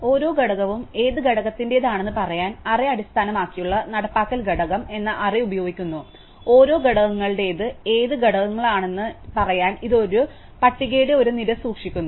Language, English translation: Malayalam, So, the array based implementation uses an array called component to tell us which component each element belongs to, it keeps an array of list to tell us which elements belongs to each components